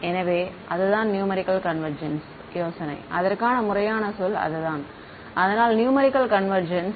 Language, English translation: Tamil, So, that is the idea of numerical convergence that is the formal word for it; so, numerical convergence